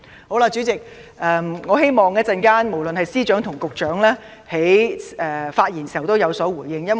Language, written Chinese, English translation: Cantonese, 好了，主席，我希望稍後司長或局長在發言時會有所回應。, Well President I hope that the Chief Secretary or Secretary will make some responses when they speak later